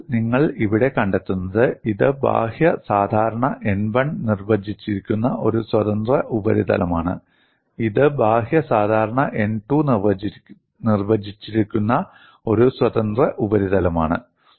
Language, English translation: Malayalam, So, what you find here is, this is a free surface defined by outward normally n 1; this is a free surface defined by outward normal n 2